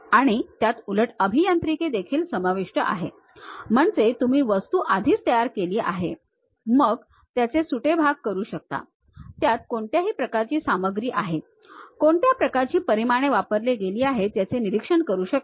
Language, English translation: Marathi, And also it includes reverse engineering; that means, you already have constructed the object, then you can disassemble it, observe what kind of material, what kind of dimensions, how to really analyze that also possible